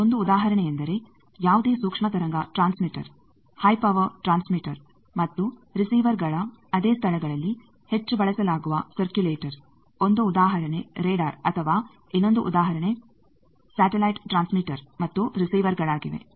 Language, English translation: Kannada, One example of that is circulator which is heavily used for in case of any microwave transmitter, high power transmitter and if the receiver is also at the same place one example is radar or another example is a satellite transmitter and receiver